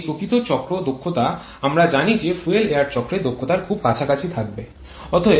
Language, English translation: Bengali, And this actual cycle efficiency we know that will be quite close to the fuel efficiency